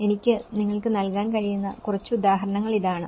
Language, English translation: Malayalam, A few examples I can give you